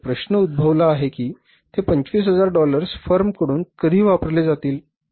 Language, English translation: Marathi, Now a question arises when that $25,000 will be used by the firms